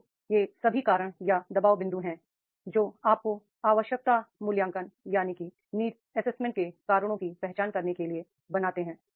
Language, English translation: Hindi, So, all these are the reasons are the pressure points which creates you to identify causes for the need assessment